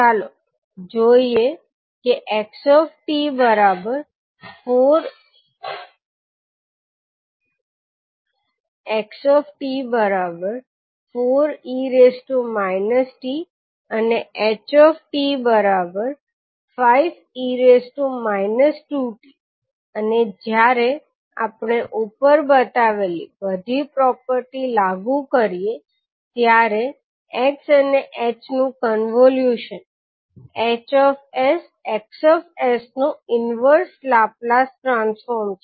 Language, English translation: Gujarati, Let us see that xt is nothing but 4 into e to the power minus t ht is five multiplied by e to the power minus 2t and when we apply the above property the convolution of h and x is nothing but inverse Laplace transform of hs into xs